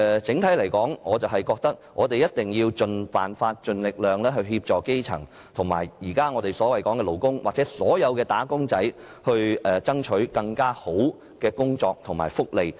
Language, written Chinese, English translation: Cantonese, 整體而言，我認為一定要設法盡力協助基層，以及為我們的勞工和"打工仔"爭取更好的工作及福利。, All in all I think we must endeavour to help the grass roots with our best efforts and strive for better jobs and benefits for our workers and wage earners